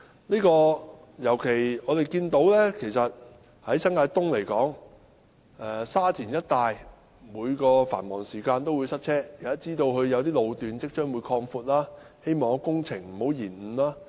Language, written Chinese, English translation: Cantonese, 我們尤其看到，以新界東來說，在沙田一帶，繁忙時間必定會塞車；我知道有些路段將會擴闊，希望工程不會延誤。, In particular we have observed for example in New Territories East there will definitely be traffic congestion during the rush hours in Sha Tin . I know that some road sections will be widened . I hope such works will not be delayed